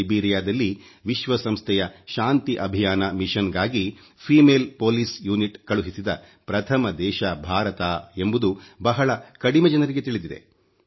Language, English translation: Kannada, Very few people may know that India was the first country which sent a female police unit to Liberia for the United Nations Peace Mission